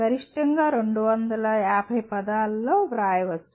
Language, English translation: Telugu, A maximum of 250 words can be written